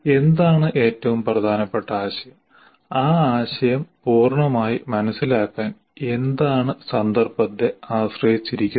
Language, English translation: Malayalam, There is also in the context what is the most important concept and what is required to fully understand that concept that depends on the context